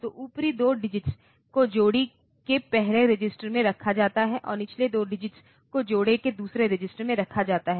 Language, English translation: Hindi, So, upper 2 digits are placed in the first register of the pair and the lower 2 digits are placed in the second register of the pair